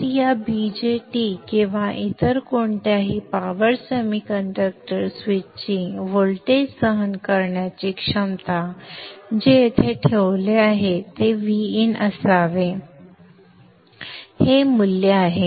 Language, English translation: Marathi, So the voltage withstanding capability of this VJT or any other power semiconductor switch which is placed here should be VIN which is this way